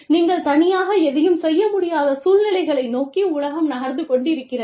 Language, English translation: Tamil, We need to have, the world is moving towards, situations where, you will not be able to do anything, on your own